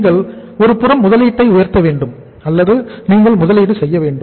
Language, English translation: Tamil, You have to on the one side raise the investment or you have to make the investment